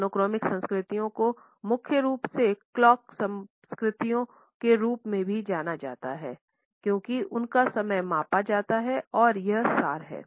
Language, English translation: Hindi, The monochronic cultures are also primarily known as the clock cultures because for them time is measured and it is of essence